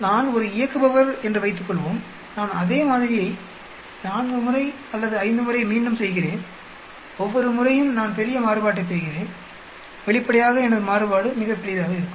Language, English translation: Tamil, Suppose I am an operator I do repeat the same sample 4 times or 5 times and each time I get large variation, obviously, my variance will be very large